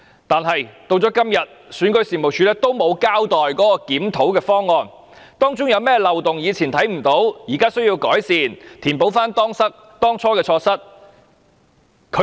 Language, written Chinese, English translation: Cantonese, 但是，選舉事務處至今仍沒有交代檢討方案，以及當中有何漏洞是過去未能察覺的，現在需要改善，以填補當初的錯失。, However so far REO has not given details of any review plan or any previously undetected loopholes that need fixing now to make up for the initial shortcomings